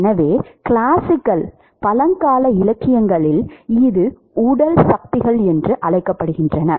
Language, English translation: Tamil, So, in classical literature it is called body forces